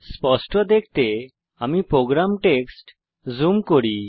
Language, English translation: Bengali, Let me zoom into the program text to have a clear view